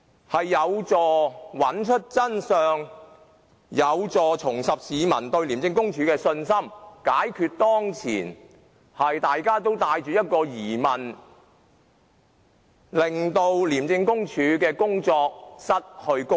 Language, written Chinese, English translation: Cantonese, 這樣有助找出真相，亦有助市民重拾對廉署的信心，解決當前大家對廉署失去公信力的疑問。, This will help us seek the truth restore public confidence in ICAC and dispel the public suspicion that ICAC has lost its credibility